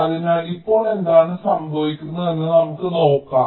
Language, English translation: Malayalam, so now let us see what happens